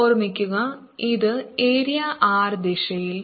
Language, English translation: Malayalam, remember this is the area in direction r